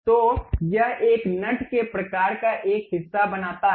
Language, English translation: Hindi, So, it creates a nut kind of a portion